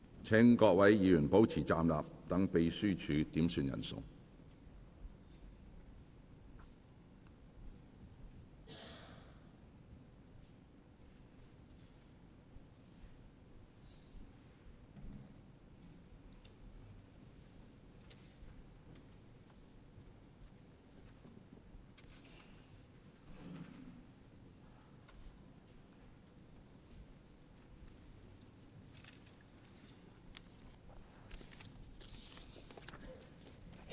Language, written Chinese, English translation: Cantonese, 請議員保持站立，讓秘書點算人數。, Members please remain standing to allow the Clerk to do a headcount